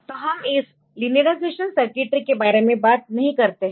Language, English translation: Hindi, So, we do not talk about this linearization circuitry